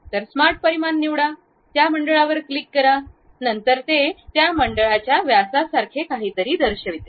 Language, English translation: Marathi, So, pick smart dimension, click that circle, then it shows something like diameter of that circle